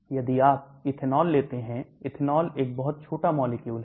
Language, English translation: Hindi, If you take ethanol, ethanol is a very small molecule